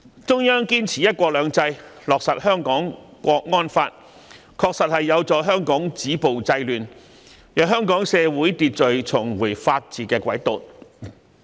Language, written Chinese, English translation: Cantonese, 中央堅持"一國兩制"，落實《香港國安法》，確實有助香港止暴制亂，令香港社會秩序重回法治軌道。, Being committed to upholding one country two systems the Central Government has enacted the Hong Kong National Security Law and this has indeed helped Hong Kong stop violence and curb disorder thereby restoring social order by returning to the rule of law